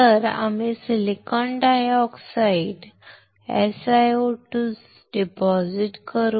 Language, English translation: Marathi, So, we will deposit silicon dioxide SiO2